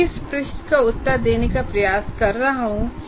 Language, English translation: Hindi, So what is the question I am trying to answer